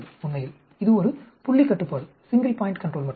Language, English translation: Tamil, Actually, it is just a single point control